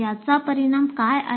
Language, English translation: Marathi, So what is the consequence